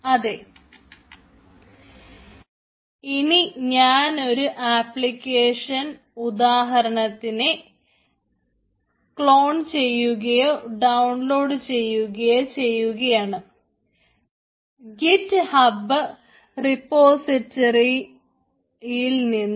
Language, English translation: Malayalam, so now i will clone or download the google one example application from this git hub repository